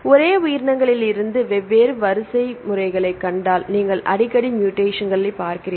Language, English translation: Tamil, If you see different sets of sequences from the same organisms you frequently see the mutations